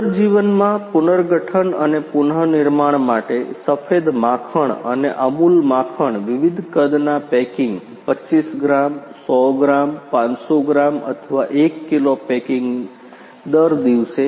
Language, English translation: Gujarati, White butter for reconstitution in reseason and Amul butter various size packing 25 gram 100 gram 500 gram or 1 kg packing per day